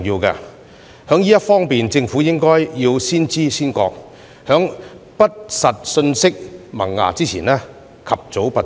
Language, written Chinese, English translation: Cantonese, 政府在這方面應先知先覺，在不實信息萌芽前及早拔除。, The Government should thus watch out for false information in this aspect and nip it in the bud before it spreads